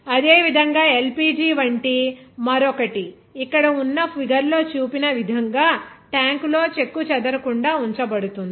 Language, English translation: Telugu, Similarly, another like LPG is kept intact in a tank as shown in a figure here